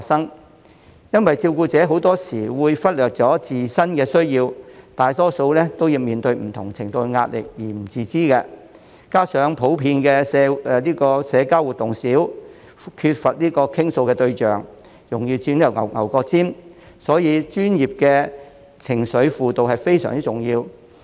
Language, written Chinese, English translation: Cantonese, 這是因為照顧者很多時會忽略了自身的需要，大多數都面對不同程度的壓力而不自知，加上普遍社交活動少，缺乏傾訴對象，容易鑽"牛角尖"，所以專業的情緒輔導非常重要。, This is because carers often neglect their own needs and most of them are unaware of the various degrees of pressure on them . Coupled with the fact that carers in general seldom socialize with others and do not have anyone to share their feelings with they are prone to get into an emotional dead - end . Thus professional counselling services are very important